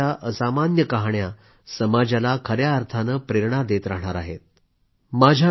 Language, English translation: Marathi, The extraordinary stories of their lives, will inspire the society in the true spirit